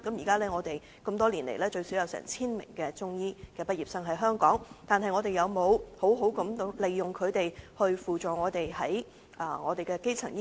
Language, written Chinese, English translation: Cantonese, 這麼多年來，香港最少有 1,000 名的中醫畢業生，但政府有沒有善用他們來輔助基層醫療？, So far there are at least 1 000 Chinese medicine graduates in Hong Kong . Yet has the Government made good use of their expertise to support primary health care services?